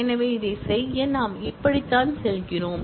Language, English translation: Tamil, So, to do this, this is how we go about